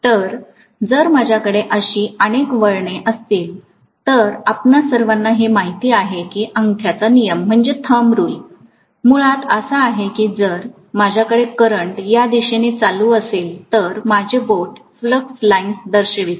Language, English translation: Marathi, So if I have so many turns like this, all of you know that thumb rule basically that if I am having probably a current in this direction, my finger show direction of the flux lines